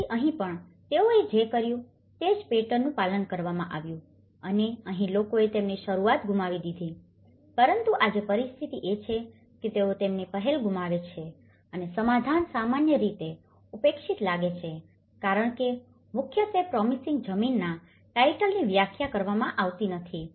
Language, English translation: Gujarati, So, here, also what they did was the similar patterns have been followed and here, the people have lost their initial but today the situation is they lost their initiative and the settlement look generally neglected because mainly the promising land titles have not been defined